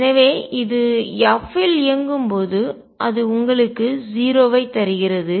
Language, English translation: Tamil, So, it when it operates on f it gives you 0